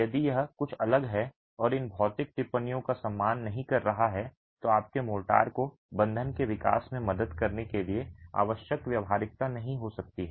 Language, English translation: Hindi, If it is anything different and not respecting these physical observations, your motor may not necessarily have the necessary workability to help you with development of the bond